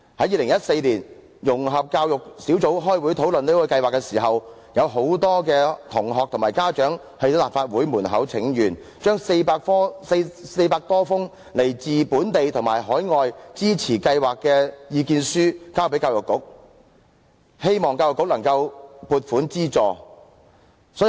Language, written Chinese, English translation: Cantonese, 2014年，融合教育小組委員會開會討論這項計劃時，有很多同學和家長在立法會門外請願，將400多封來自本地和海外支持計劃的意見書交給教育局，希望教育局能夠撥款資助。, In 2014 when the Subcommittee on Integrated Education met to discuss the Programme many students and parents staged a petition outside the Legislative Council Complex . They presented to the Education Bureau some 400 submissions in support of the Programme from Hong Kong and overseas in the hope that Education Bureau could provide some funding